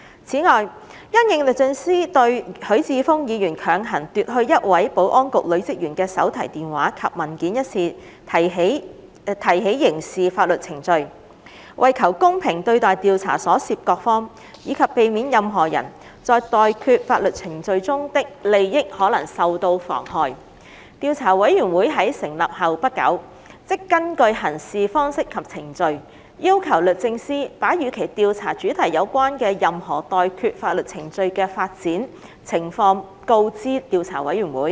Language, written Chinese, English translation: Cantonese, 此外，因應律政司對許智峯議員強行奪去一位保安局女職員的手提電話及文件一事提起刑事法律程序，為求公平對待調查所涉各方，以及避免任何人在待決法律程序中的利益可能受到妨害，調查委員會在成立後不久，即根據《行事方式及程序》，要求律政司把與其調查主題有關的任何待決法律程序的發展情況告知調查委員會。, Besides in response to the criminal proceedings instigated by the Department of Justice DoJ against Mr HUI Chi - fung in respect of his grabbing of the mobile phone and documents of a female officer of the Security Bureau in order to be fair to the parties involved in the investigation and to avoid possible prejudice to a persons interest in pending legal proceedings soon after it was established the Investigation Committee requested DoJ to keep it informed of the development of any pending legal proceedings related to the subject of its inquiry in accordance with the Practice and Procedure